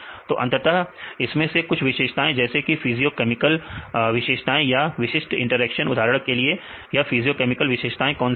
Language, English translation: Hindi, So, eventually some of these features like the physiochemical properties or the specific interactions for example, what are the physiochemical properties for example